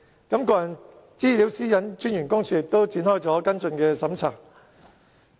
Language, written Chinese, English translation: Cantonese, 個人資料私隱專員公署亦展開了跟進的調查。, The Office of the Privacy Commissioner for Personal Data has also launched a follow - up investigation